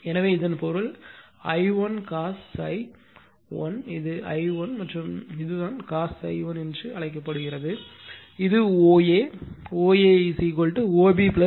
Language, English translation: Tamil, So,that that means, your I 1 cos phi 1 that is this is my I 1, and this is my your what you call that your cos phi 1 that is this OA, that OA is equal to actually OB plus BA